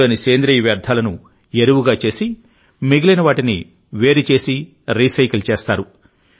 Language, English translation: Telugu, The organic waste from that is made into compost; the rest of the matter is separated and recycled